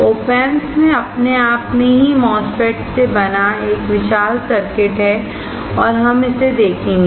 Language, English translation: Hindi, OP Amps itself has a huge circuit made up of MOSFETS and we will see that